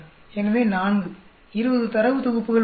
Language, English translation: Tamil, So, 4, there are 20 data sets